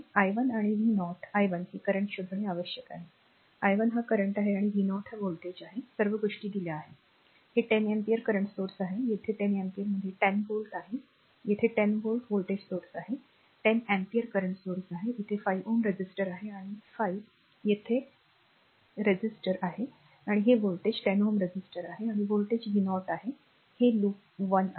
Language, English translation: Marathi, You have to find out i 1 and v 0 i 1 is this current, i 1 is this current and v 0 is this voltage all the things are given this is 10 ampere current source , a 10 ampere here we have a 10 volt, 10 volt voltage source here we have a 10 ampere current source , you have a 5 ohm resistor here 5 ohm resistor here , and this voltage this is a 10 ohm resistor across is voltage is v 0 , this is loop one, right